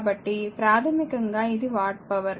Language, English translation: Telugu, So, basically it is watt hour